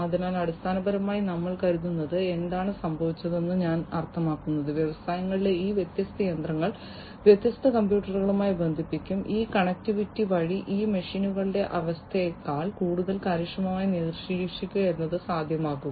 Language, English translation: Malayalam, So, basically what we are think I mean what has happened is these different machinery in the industries would be connected to different computers and through this connectivity, what it would be possible is to monitor the condition of these machines in a much more efficient manner than before